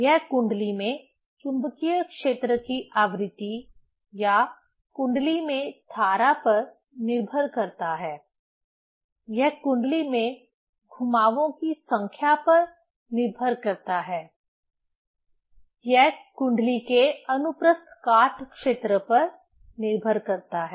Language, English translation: Hindi, it depends on the frequency of the magnetic field or current in the coil; it depends on the number of turns in the coil, it depends on the cross sectional area of the coil